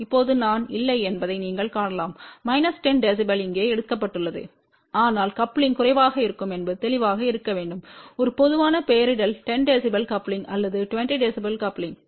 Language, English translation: Tamil, Now you can see that i have not written here minus 10 db ok, but it should be obvious that coupling is going to be less this is just a general nomenclature 10 db coupling or 20 db coupling